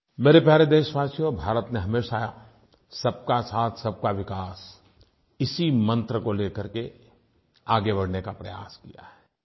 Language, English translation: Hindi, My dear countrymen, India has always advanced on the path of progress in the spirit of Sabka Saath, Sabka Vikas… inclusive development for all